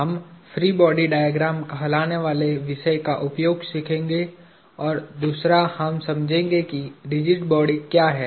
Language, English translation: Hindi, We will learn the use of what is called a free body diagram, and second we will understand what a rigid body is